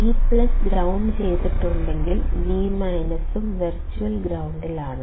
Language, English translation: Malayalam, If V plus is grounded, then V minus is also grounded at virtual ground